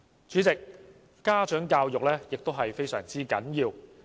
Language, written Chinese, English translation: Cantonese, 主席，家長教育同樣十分重要。, President parent education is equally important